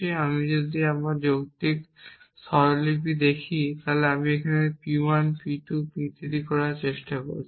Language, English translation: Bengali, If I look at my logical notation I am trying to do this P 1 P 2 P 3